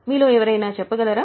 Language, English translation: Telugu, Can somebody tell